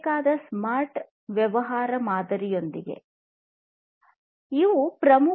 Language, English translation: Kannada, What is the smart business model